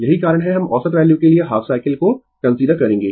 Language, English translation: Hindi, That is why, we will consider that half cycle for average value right